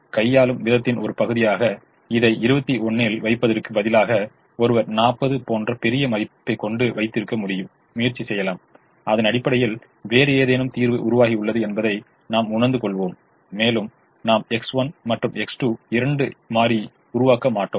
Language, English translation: Tamil, as a matter of exercise, one can try, instead of keeping this at at twenty one, one can try keeping a large value like forty, and then we will realize that some other solution has emerged and we will not be making both x one and x two